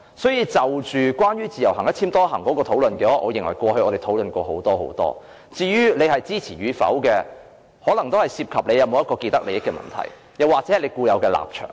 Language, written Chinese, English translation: Cantonese, 所以，關於自由行"一簽多行"的討論，我認為過去我們已經討論過很多次，至於支持與否，可能涉及是否存在既得利益的問題，又或是關乎固有的立場。, Indeed a significant amount of discussion was devoted to the issue of multiple - entry endorsements previously . Ones position on this issue may have been influenced by certain vested interests or some fundamental stance